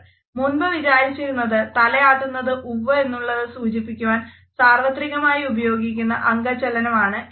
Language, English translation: Malayalam, Earlier it was thought that nodding a head is a universal gesture of agreement